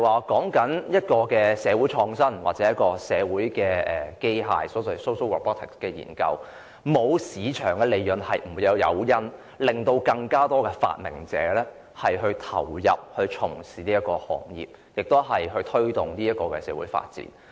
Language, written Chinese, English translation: Cantonese, 根據社會創新或社會機械的研究，如果沒有市場利潤作為誘因，便無法吸引發明者加入這行業，無法推動社會發展。, According to research in social innovation or social robotics the absence of market profits as an incentive will render it impossible to attract innovators to this industry or promote social development